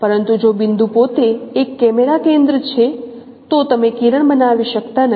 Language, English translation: Gujarati, But if the point itself is a camera center, so you cannot form a ray